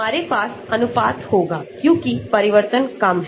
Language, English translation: Hindi, We will have ratio because the change is only little